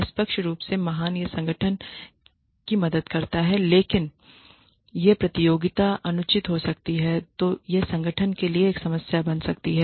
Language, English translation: Hindi, By fair means great it helps the organization, but when the competition becomes unfair becomes unhealthy then it becomes a problem for the organization